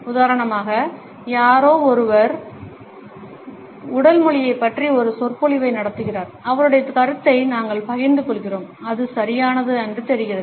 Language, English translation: Tamil, For example, someone is holding a lecture about body language and we share his opinion hmm, that seems about right